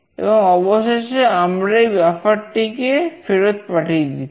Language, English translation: Bengali, And finally, we are returning this buffer